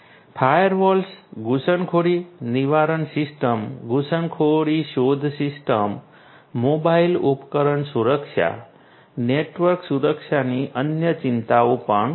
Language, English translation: Gujarati, Firewalls, intrusion prevention systems, intrusion detection systems, mobile device security, these are also other concerns of network security